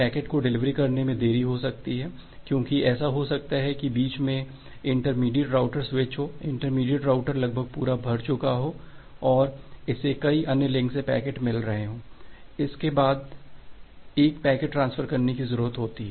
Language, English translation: Hindi, There can be delay in delivery the packet because it may happen that the intermediate router switch are there, that intermediate routers their buffer is almost full and it is receiving packets from multiple other links and it need to transfer the packet one after another